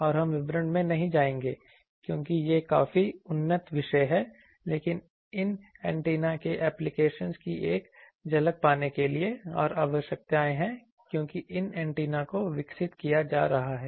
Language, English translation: Hindi, And we would not go into the details, because these are quite advanced topics, but to have a glimpse of the applications of these antennas, and requirements why these antennas are being developed for that